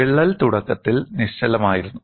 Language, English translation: Malayalam, The crack was initially stationary